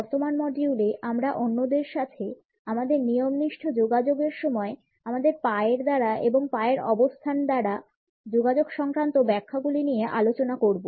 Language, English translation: Bengali, In the current module we would look at the interpretations which are communicated by our feet and by the positioning of legs in our formal communication with others